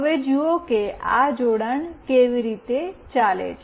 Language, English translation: Gujarati, Now, see how this connection goes